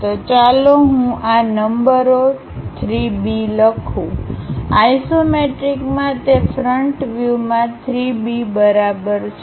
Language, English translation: Gujarati, So, let me write these numbers 3 B in isometric is equal to 3 B in that view, in the front view